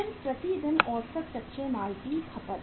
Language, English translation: Hindi, Then average raw material consumption per day